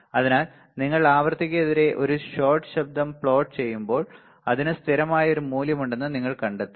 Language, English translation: Malayalam, So, when you plot a shot noise against frequency you will find it has a constant value ok